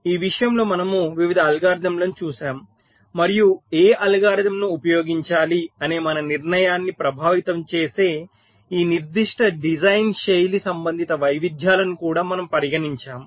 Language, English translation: Telugu, so we looked at various algorithms in this regards and we also considered this specific design style, related radiations that can affect our decision as to which algorithm should we should be used